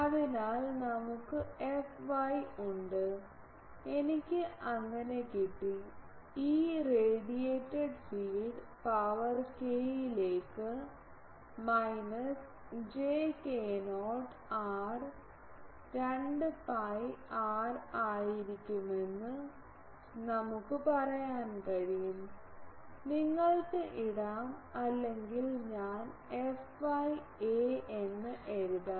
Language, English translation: Malayalam, So, we have f y, f x I have got so, we can say that E radiated field that will be j k not to the power minus j k not r by 2 pi r, f y you can put or I will write f y a theta